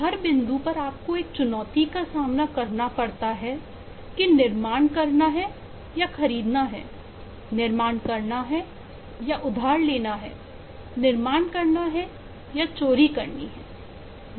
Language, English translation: Hindi, at every point you are faced with a challenge of whether to build or to buy, whether to build or to borrow, whether to build or to steal